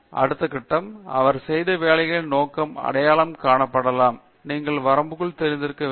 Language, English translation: Tamil, Then next stage maybe to identify the scope of the work he has done, you should know the limitation